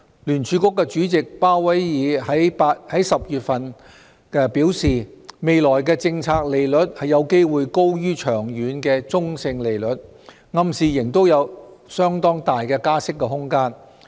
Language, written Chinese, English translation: Cantonese, 聯儲局主席鮑威爾在10月初表示，未來的政策利率有機會高於長遠的中性利率，暗示仍有相當大的加息空間。, In early October Jerome POWELL Chairman of the Federal Reserve said it was possible that the future policy rate would be higher than the long - term neutral rate implying that there was still much room for raising the interest rate